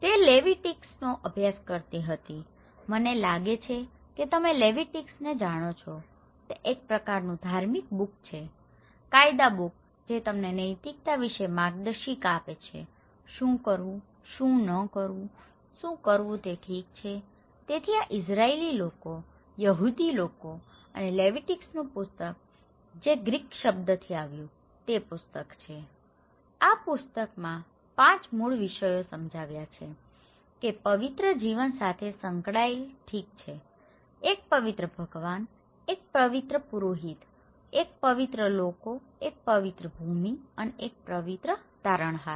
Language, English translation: Gujarati, She was studying Leviticus, I think you know Leviticus, itís a kind of religious book; law book that gives you guidelines about the morals; what to do, what not to do, what do it okay, so this is a third book of the Israeli people, the Jews people and the book of the Leviticus from the Greek word it has came, the book explained the five basic themes that relate to the life of holiness, okay, a holy God, a holy priesthood, a holy people, a holy land and a holy saviour